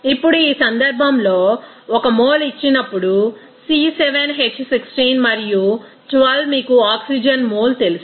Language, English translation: Telugu, Now, in this case, given 1 mole of C7H16 and 12 you know mole of oxygen